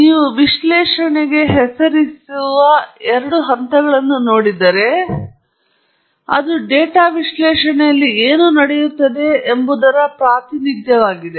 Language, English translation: Kannada, The two stages that you see titled analysis here, it is essentially the representation of what goes on in data analysis